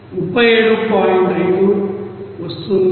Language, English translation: Telugu, It is around 5